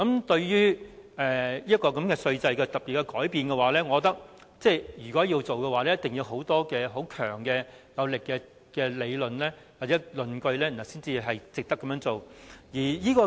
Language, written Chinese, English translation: Cantonese, 對於稅制的特別改變，我認為如果要做，一定要有充分強而有力的理據，證明值得這樣做。, If we have to make special changes to the tax regime we can only do so with a very strong reason to justify the move